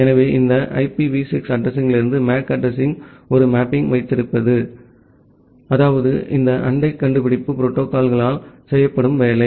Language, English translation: Tamil, So, having a mapping from this IPv6 address to the MAC address that is, work done by this neighbor discovery protocol